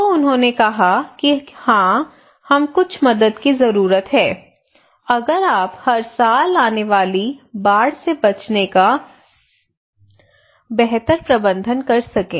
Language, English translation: Hindi, So they said that yes we need some help if you can do to manage better the flood we are facing every year